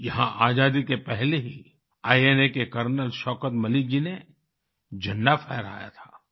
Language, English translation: Hindi, Here, even before Independence, Col Shaukat Malik ji of INA had unfurled the Flag